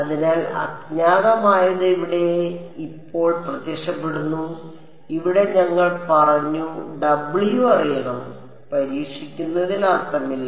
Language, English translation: Malayalam, So, the unknown is here now W m is appearing over here and here we said W should be known, there is no point in testing with the unknown something